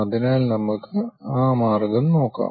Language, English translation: Malayalam, So, let us look at that solution